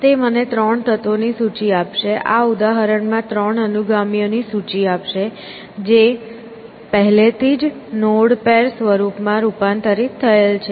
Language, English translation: Gujarati, So, it should give me a list of three elements, in this example, of the three successors, already converted into node pair form